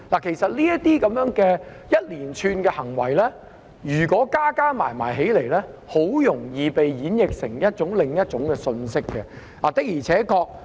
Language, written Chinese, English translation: Cantonese, 其實，如果將這一連串行為加起來，很容易會被演譯為另一種信息。, In fact this series of actions taken together can easily be interpreted as another message